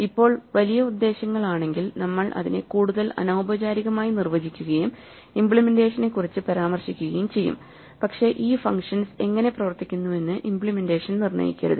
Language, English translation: Malayalam, Now large purposes we will normally define it more informally and we will make reference to the implementation, but we definitely do not want the implementation to determine how these functions work